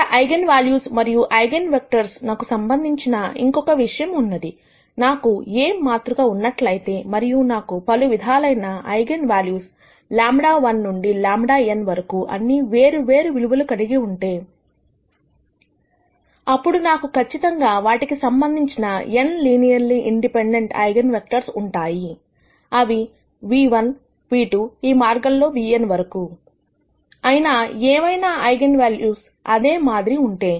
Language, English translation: Telugu, Now, there is another aspect of an eigenvalues and eigenvectors that is important; if I have a matrix A and I have n different eigenvalues lambda1 to lambda n, all of them are distinct, then I will definitely have n linearly independent eigenvectors corresponding to them which could be nu one; nu 2 all the way up to nu n; however, if there are certain eigenvalues which are repeated